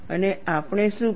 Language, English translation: Gujarati, And what we did